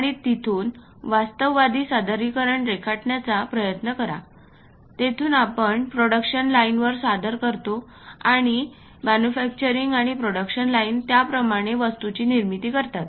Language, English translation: Marathi, And from there try to draw the realistic representation; from there we submit to production lines; and manufacturing and production lines create that kind of objects